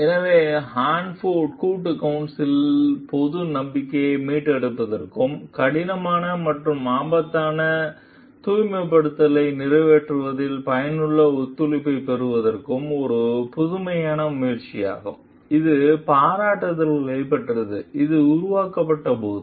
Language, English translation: Tamil, So, the Hanford Joint Council was an innovative attempt to restore public trust and secure effective cooperation in an accomplishing difficult and dangerous cleanup, which received praise, when it was formed